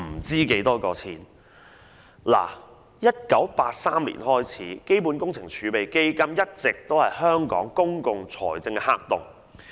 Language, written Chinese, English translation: Cantonese, 自1983年起，基本工程儲備基金一直是香港公共財政的黑洞。, From 1983 onwards CWRF has been the black hole of Hong Kongs public finance